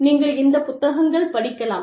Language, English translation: Tamil, And, you can actually, go through these books